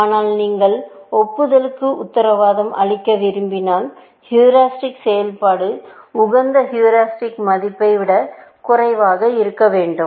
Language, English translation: Tamil, But if you want to guarantee admissibility, the heuristic function must be less than the optimal heuristic value, essentially